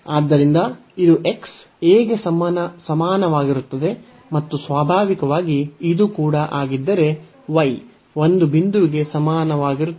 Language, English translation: Kannada, So, this is x is equal to a and naturally this is also then y is equal to a point